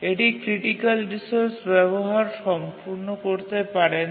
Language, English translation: Bengali, It cannot really complete its uses of the critical resource